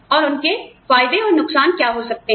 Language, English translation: Hindi, And, what their advantages and disadvantages could be